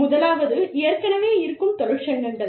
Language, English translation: Tamil, The first is, existing trade unions, what is already there